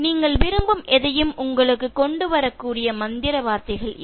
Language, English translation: Tamil, These are the magical words that can fetch you anything that you want